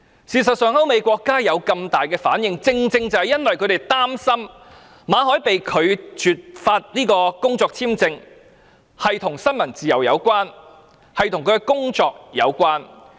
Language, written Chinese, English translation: Cantonese, 事實上，歐美國家有這麼大的反應，正是因為他們擔心馬凱被拒發工作簽證與新聞自由有關，與他的工作有關。, In fact the strong reaction from the European countries and the United States was precisely because they feared that MALLETs work visa rejection had something to do with freedom of the press and his work